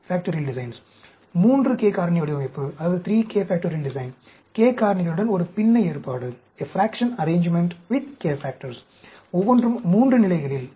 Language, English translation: Tamil, 3 k Factorial Design, a fraction arrangement with k factors, each at 3 levels